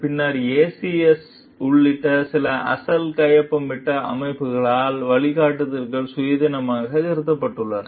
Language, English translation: Tamil, The guidelines have since been independently revised by some of the original signatory organizations, including the ACS